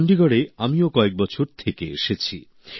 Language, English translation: Bengali, I too, have lived in Chandigarh for a few years